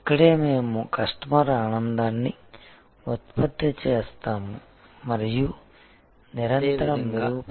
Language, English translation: Telugu, This is where we produce customer delight and improve continuously